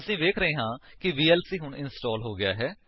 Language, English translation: Punjabi, We see that vlc is installed now